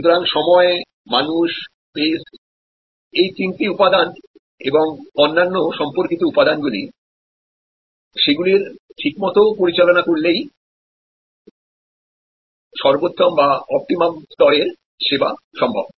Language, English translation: Bengali, So, time, people, space all three elements and other related elements, they all need to be managed to provide the optimum level of service